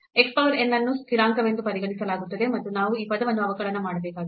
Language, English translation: Kannada, So, x power n will be treated as constant and we have to just differentiate this term